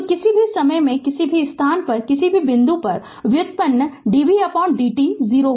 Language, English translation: Hindi, So, any time any place any point you take the derivative dv by dt will be 0